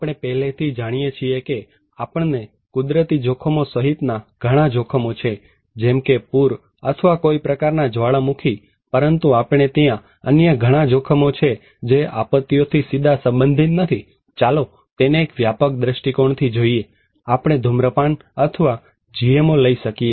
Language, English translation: Gujarati, We already know that we have many hazards including natural hazards okay, like flood or kind of volcano but also we have many other hazards which are not directly related to disasters but let us look at in a broader perspective, we could have smoking or GMO